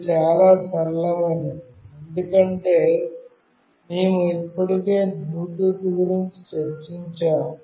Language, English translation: Telugu, This is fairly straightforward, because we have already discussed about Bluetooth